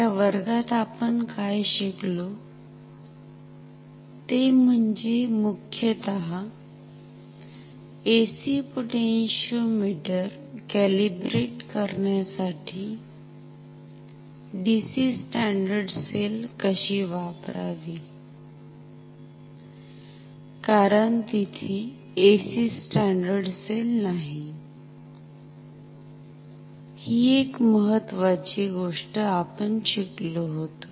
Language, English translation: Marathi, What we have learned in that class mainly is how to use a DC standard cell to calibrate AC potentiometer, because there is no AC standard cell that is one important thing we have learned